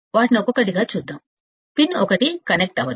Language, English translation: Telugu, Let us see them one by one, we are not connecting 1